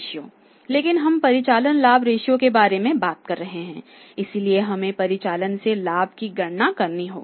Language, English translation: Hindi, But we are talking about the operating profit ratio should have to calculate the profit from operations